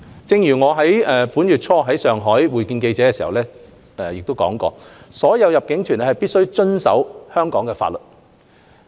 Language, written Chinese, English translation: Cantonese, 正如我本月初在上海會見記者時指出，所有入境團皆必須遵守香港法律。, As I said during my media stand - up in Shanghai earlier this month all inbound tour groups must abide by the Hong Kong law